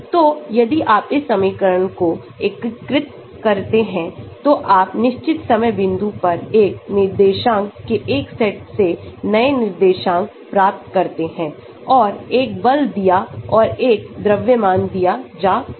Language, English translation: Hindi, So, if you integrate this equation, you can get new coordinates starting from one set of coordinates at certain time point and given a force and given a mass